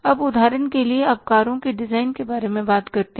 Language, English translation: Hindi, Now for example, you talk about designing of cars